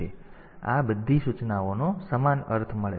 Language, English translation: Gujarati, So, all these instructions they have got the same meaning